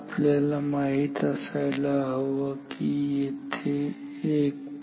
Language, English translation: Marathi, So, we should know that there is a 1